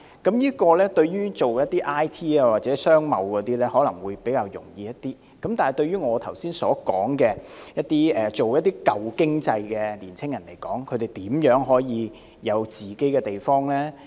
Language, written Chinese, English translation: Cantonese, 從事 I & T 或商貿的青年人可能會較易用到，但對於我剛才所說從事舊經濟產業的年青人，試問他們如何能夠擁有自己的地方？, Young people engaging in IT or trade and commerce will more likely use shared office but how about those engaging in the old economic industries just mentioned by me how can they have their own offices?